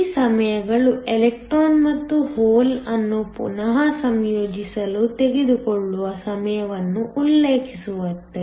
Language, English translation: Kannada, These times refer to the time it takes for the electron and hole to recombine